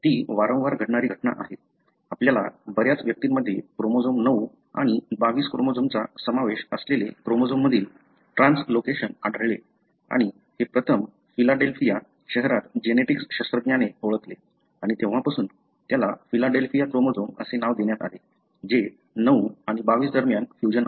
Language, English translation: Marathi, That is a recurrent event; more often you will find in many individuals a translocation between chromosome, involving chromosome 9 and chromosome 22 and this was first identified in the city of Philadelphia by a geneticist and since then it has been named as Philadelphia chromosome that is fusion between 9 and 22